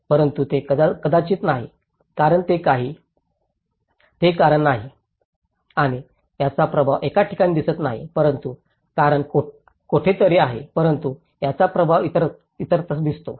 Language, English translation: Marathi, But this is not maybe, as it is not the cause and the impact is not seen at one place but cause is somewhere else but the impact is also seen somewhere else